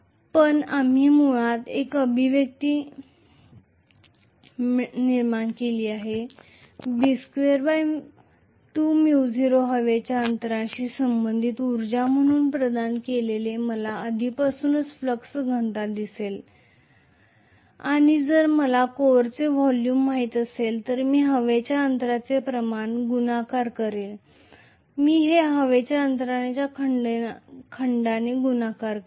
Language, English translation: Marathi, But we have got basically an expression that is B square by 2 Mu naught as the energy associated with the air gap provided I am already given the flux density and if I know the volume of the core I will multiply volume of the air gap, I will multiply this by the volume of the air gap